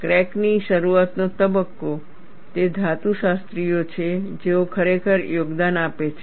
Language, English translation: Gujarati, The crack initiation phase, it is the metallurgists, who really make a contribution